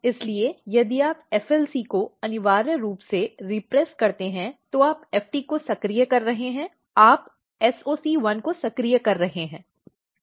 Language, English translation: Hindi, So, if you negatively if you repress FLC essentially you are activating FT you are activating SOC1